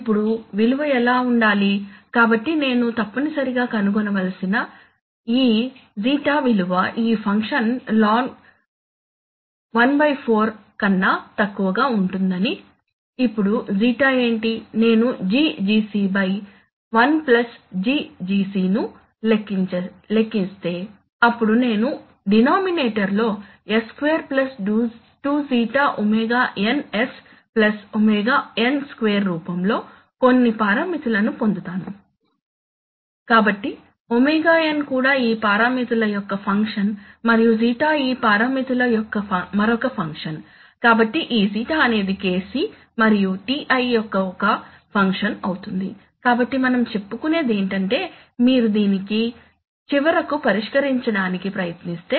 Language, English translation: Telugu, Now what should be the value, so what I have to find out essentially is, what should be the value of this ζ such that this function evaluates to be less than ln one fourth, now what is ζ, so if I compute GGc by one plus GGc then I will get in the denominator, I will get some parameter in the form S2 + 2ζ ωnS + ωn2, so it will turn out that ωn is also a function of these parameters and ζ is also another function of these parameters, so this ζ is going to be some function of Kc and Ti, so that is what we are saying that if you try to solve this finally